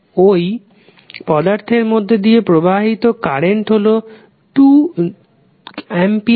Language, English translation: Bengali, Current which is flowing through an element is 2 amperes